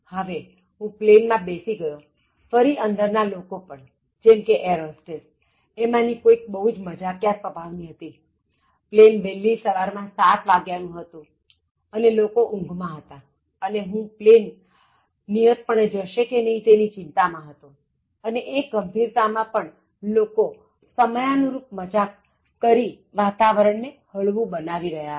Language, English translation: Gujarati, Now, I got into the flight, again the people inside, the airhostess for example, one of them so she was also very humourous, see around the flight was early in the morning around 7 O’clock and people were drowsy and as I said very serious and very concerned about the flight schedule and you find people lightening that kind of seriousness by cracking appropriate timely jokes